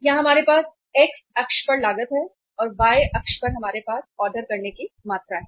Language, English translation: Hindi, Here we have the cost on the x axis and on the y axis we have the ordering quantity